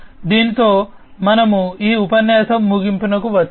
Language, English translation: Telugu, With this we come to an end of this lecture